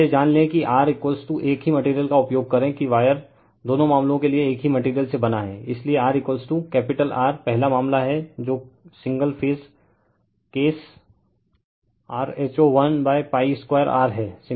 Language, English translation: Hindi, Now, we know that R is equal to we use the same material that wire is made of the same material for both the cases, so R is equal to capital R that is the first case that is single phase case rho l upon pi r square